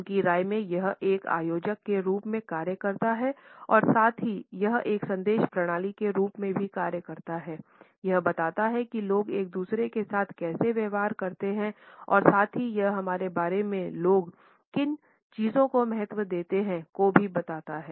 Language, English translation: Hindi, In his opinion it acts as an organizer and at the same time it also acts as a message system it reveals how people treat each other and at the same time it also tells us about the things which people value